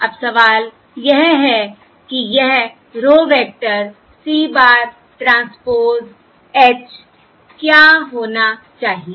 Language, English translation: Hindi, what should this row vector, C bar transpose H be